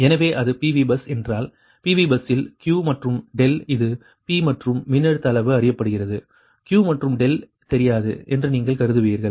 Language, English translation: Tamil, so if it is pv bus, if you will be, consider that in pv bus, q and delta this is p and voltage magnitude known q and delta unknown, right